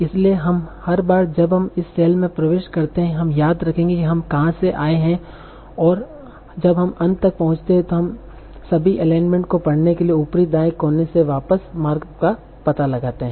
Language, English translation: Hindi, So every time we enter a cell we remember where we came from and when we reach the end we trace back the path from the upper right corner to read read all the alignment